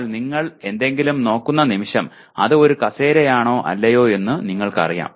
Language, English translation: Malayalam, But the moment you look at something you know whether it is a chair or not